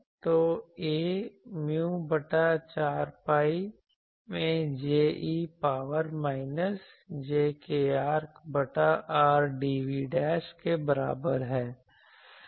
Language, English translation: Hindi, So, mu by 4 pi that J e to the power minus jkr by R dv dash ok